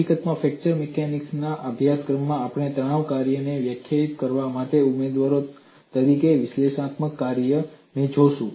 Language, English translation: Gujarati, In fact, in a course in fracture mechanics, we would look at analytic functions as candidates for defining the stress functions